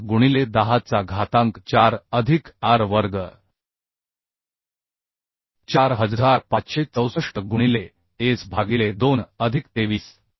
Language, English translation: Marathi, 8 into 10 to the power 4 plus Ar square 4564 into S by 2 plus 23